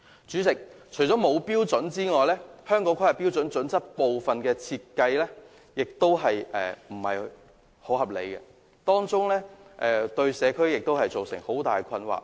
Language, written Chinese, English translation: Cantonese, 主席，除了沒有標準外，《規劃標準》所設定的部分標準亦不大合理，對社區造成極大困擾。, President standards are either unavailable in HKPSG or are pretty unreasonable and have caused great disturbances to the community